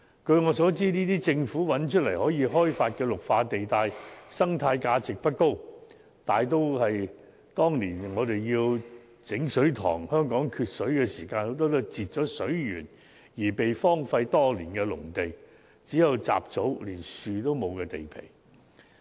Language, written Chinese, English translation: Cantonese, 據我所知，政府所物色到可供開發的綠化地帶，生態價值不高，大多數是當年香港缺水時被闢作水塘，但在截水源後已被荒廢多年的農地，只有雜草，連樹木也欠奉。, As far as I understand the green belt areas identified by the Government for development are of low ecological value . They were mostly farmlands which were used as reservoirs when there was a serious shortage of water supply in Hong Kong years ago but had been left derelict after water supply was cut off . At present only weeds grow on these farmlands not even trees can be found